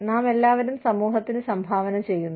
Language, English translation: Malayalam, We are all contributing to the society